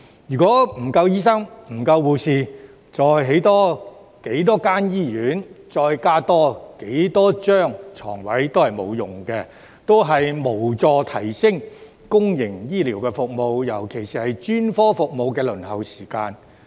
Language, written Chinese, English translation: Cantonese, 如果沒有足夠醫生和護士，再興建多少醫院，再增加多少張病床也沒有用，無助改善公營醫療服務，尤其是專科服務的輪候時間。, If there are not enough doctors and nurses no matter how many more hospitals will be built and how many more beds will be added it will not help improve public healthcare services especially the waiting time for specialist services